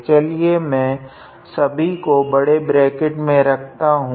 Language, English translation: Hindi, Let me put everything in the bigger bracket